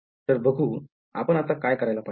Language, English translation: Marathi, So, let us see, so what should we do